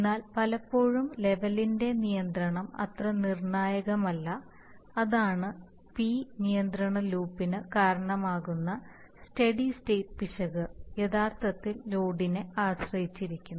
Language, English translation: Malayalam, But in such cases it is often the case that the control of the level is not that critical that is the, that is a steady state error we have seen that the steady state error that results in a P control loop, actually depends on the load